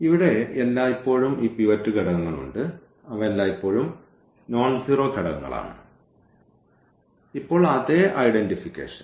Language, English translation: Malayalam, Here we have these pivot elements which are always nonzero elements and, now what exactly the same identification